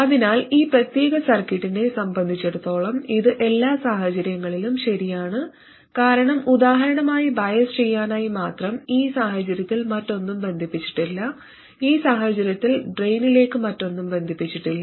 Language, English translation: Malayalam, So that is as far as this particular circuit is concerned and this is true in every case because just for biasing, for instance in this case nothing else is connected, in this case nothing is connected to the drain and so on